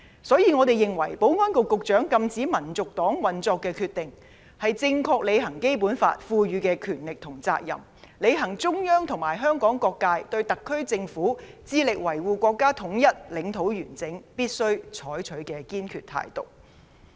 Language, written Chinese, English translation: Cantonese, 因此，我們認為保安局局長禁止香港民族黨運作的決定，是正確履行《基本法》所賦予的權力和責任，履行中央和香港各界對特區政府致力維護國家統一、領土完整所必須採取的堅決態度。, As such we believe that the decision of the Secretary for Security to prohibit the operation of HKNP reflects the rightful exercise of power and duty conferred to him under the Basic Law as well as the firm attitude that must be adopted by the SAR Government to meet the aspirations of the Central Authorities and various sectors of Hong Kong to safeguard national unity and territorial integrity